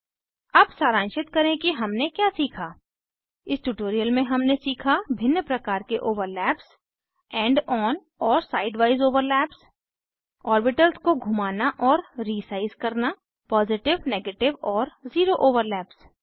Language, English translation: Hindi, In this tutorial we have learnt, * About different types of orbitals * End on and side wise overlaps * Rotation and resize of orbitals * Positive, negative and zero overlap